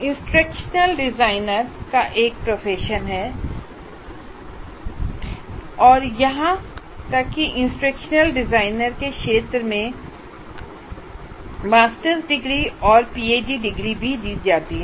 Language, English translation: Hindi, So there is even a profession called instructional designer and there are even master's degrees and PhD degrees given in the area of instructional design